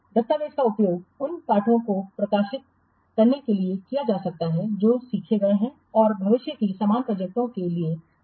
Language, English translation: Hindi, The document can be used to disseminate the lessons which are learned and to work as a reference for similar future projects